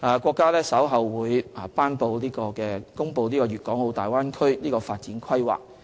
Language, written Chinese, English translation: Cantonese, 國家將於稍後頒布《粵港澳大灣區城市群發展規劃》。, The country will later promulgate the development plan for a city cluster in the Guangdong - Hong Kong - Macao Bay Area the Plan